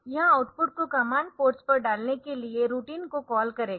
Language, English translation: Hindi, So, this will call the routine for putting this output onto the command ports